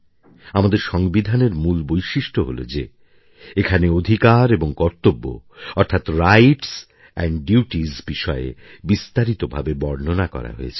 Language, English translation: Bengali, The unique point in our Constitution is that the rights and duties have been very comprehensively detailed